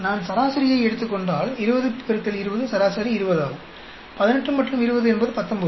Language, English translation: Tamil, If I take the average, average of 20 into 20 is 20; 18 and 20 is 19